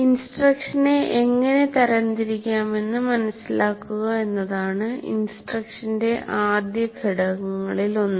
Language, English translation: Malayalam, Now one of the first elements of the instruction is to understand how to classify instruction